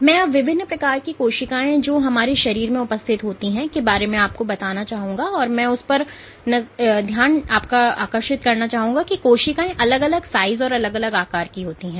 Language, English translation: Hindi, So, I had touched upon solve the things about the different cell types which exist within our body and just to reemphasis the fact, the cells come in different sizes and different shapes